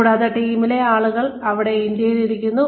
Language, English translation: Malayalam, And, the team is, people are sitting here in India